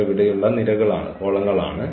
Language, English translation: Malayalam, These are the precisely the columns here